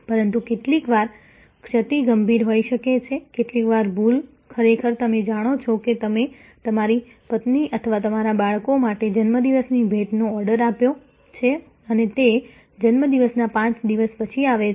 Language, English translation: Gujarati, But, sometimes the lapse can be severe, sometimes the lapse can actually you know like if you have ordered birthday gift for your wife or for your children and it arrives 5 days after the birth day